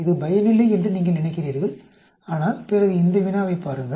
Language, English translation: Tamil, You think it is of no use but then look at this problem